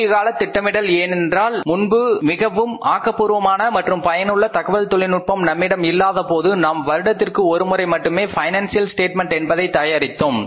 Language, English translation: Tamil, Short term planning because earlier when we were not having the very efficient and useful IT systems in hand we were preparing the financial statements only once in a year